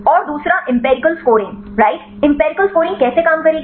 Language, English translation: Hindi, And the second one is the empirical scoring right how the empirical scoring will work